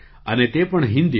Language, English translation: Gujarati, And that too in Hindi